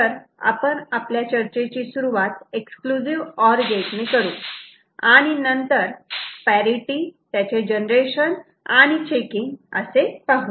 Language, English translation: Marathi, So, we shall begin with a discussion on Exclusive OR gate, and then we shall go on discussing the parity, its generation and checking